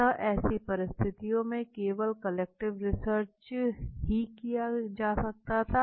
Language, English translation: Hindi, So what is the rational for using qualitative research